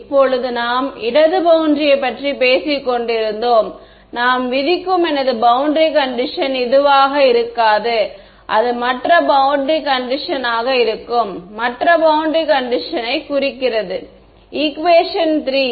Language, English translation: Tamil, Now, if I were talking about the left boundary, my boundary condition that I impose will not be this one right, it will be other boundary condition, the other boundary condition meaning this guy, equation 3